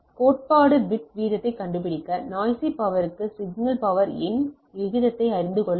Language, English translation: Tamil, To find the theoretical bit rate, we need to know the ratio of the signal power to the noise power